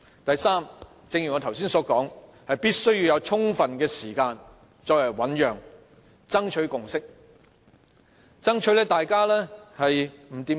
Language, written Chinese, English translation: Cantonese, 第三，正如我剛才所說，必須要有充分時間醞釀，盡力商議，爭取共識。, Third as I have said we must spend enough time on mulling over the proposed amendments and seeking a consensus through negotiations